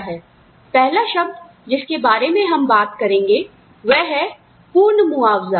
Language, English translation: Hindi, The first term, we will talk about is, total compensation